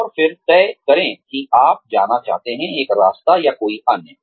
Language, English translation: Hindi, And then decide, whether you want to go, one way or another